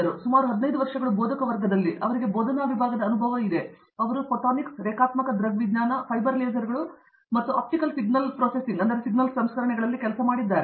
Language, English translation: Kannada, So, about 15 years as a faculty, that’s a lot of experience as a faculty and she has worked on Photonics, Non linear optics, Fiber lasers and Optical Signal processing